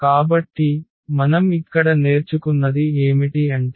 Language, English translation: Telugu, So, what we have learned here